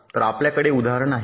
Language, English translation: Marathi, this is our example